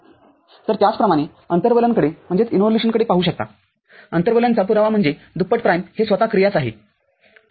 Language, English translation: Marathi, So, similarly you can look at the involution the proof of involution that is double prime is the function itself, ok